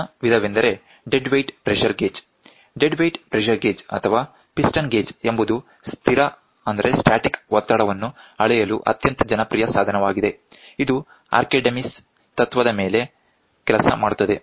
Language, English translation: Kannada, The next type is dead weight pressure gauge; dead weight pressure gauge or a piston gauge is a very popular device for measuring the static pressure, it works on Archimedes principle